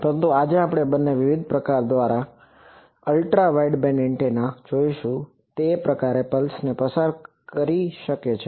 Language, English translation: Gujarati, But today we will see both various types of Ultra wideband antennas that can pass that type of pulses